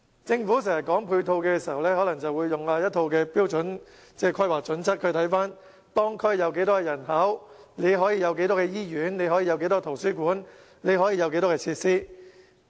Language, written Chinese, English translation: Cantonese, 政府說到配套，經常引用一套標準的規劃準則，考慮當區有多少人口，從而興建多少間醫院、多少個圖書館，設置多少設施。, The Government always follows a set of standards and guidelines in infrastructure planning under which it will consider the population within the districts concerned and will then decide the right numbers of hospitals and libraries as well as the supply of facilities accordingly